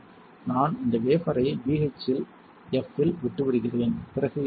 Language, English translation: Tamil, I will leave this wafer in BHF then what will happen